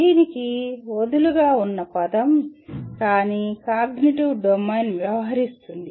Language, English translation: Telugu, Is a loose word for this but that is what cognitive domain deals with